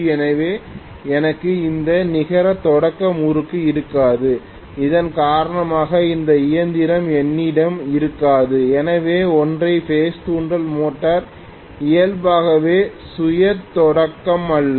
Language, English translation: Tamil, So I will not have any net starting torque because of which I will not have this machine so single phase induction motor is inherently not self starting